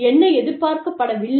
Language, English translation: Tamil, And, what is not acceptable